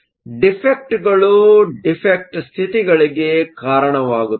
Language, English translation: Kannada, Defects will cause defect states